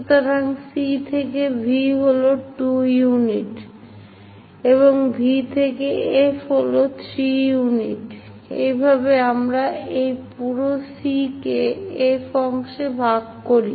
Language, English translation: Bengali, So, C to V is 2 units, and V to F is 3 units, in that way we divide this entire C to F part